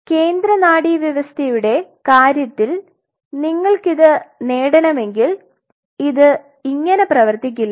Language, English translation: Malayalam, But in the case of central nervous system if you want to achieve it this does not work like that